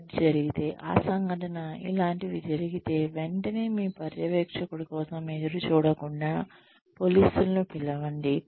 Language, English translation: Telugu, If Z happens, then the incident, if something like this happens, immediately, without waiting for your supervisor, call the cops